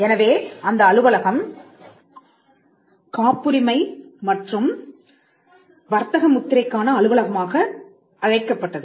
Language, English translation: Tamil, So, we it used to be called the patent and trademark office